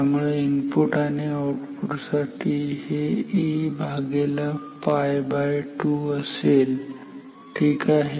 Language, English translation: Marathi, So, for input and for output this will be A by pi by 2 for output ok